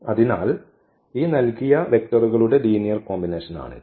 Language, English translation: Malayalam, So, that is a linear combination of these given vectors